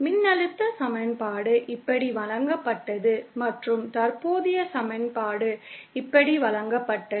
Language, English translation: Tamil, The voltage equation was given like this and the current equation was given like this